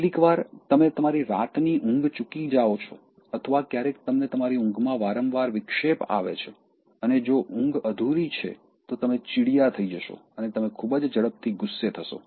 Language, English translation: Gujarati, Eating good food, and sleeping nicely, sometimes if you miss your night’s sleep or sometimes if you get frequent interruptions in your sleep and if the sleep is incomplete then you become irritable and you get angry very quickly